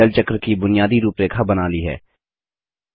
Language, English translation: Hindi, We have now created the basic outline of the Water Cycle